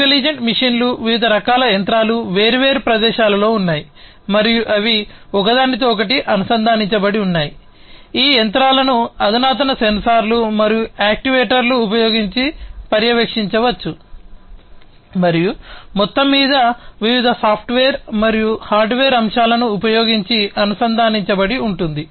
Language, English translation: Telugu, Intelligent machines, different kinds of machines, are located at different locations and they are interconnected, these machines can be monitored using advanced sensors and actuators and so, overall everything is connected using different software and hardware elements